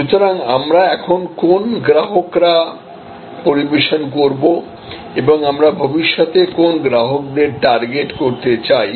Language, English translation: Bengali, So, what customers do we serve now and which ones would we like to target